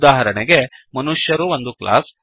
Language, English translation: Kannada, For example, human being is a class